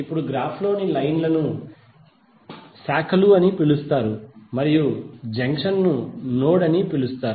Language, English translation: Telugu, Now lines in the graph are called branches and junction will be called as node